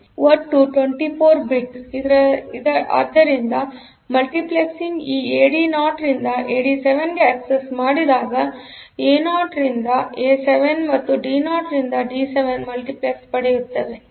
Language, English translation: Kannada, So, total 24 bit; so when the multiplexed access this AD 0 to AD 7; so they are; so, A 0 to A 7 and D 0 to D 7 are multiplexed